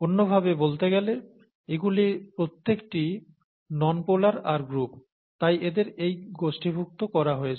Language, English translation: Bengali, In other words, all these are nonpolar groups, the R groups and therefore they are grouped under this